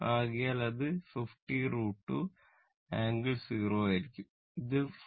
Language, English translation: Malayalam, So, it will be 50 root 2 angle 0 degree and this one 14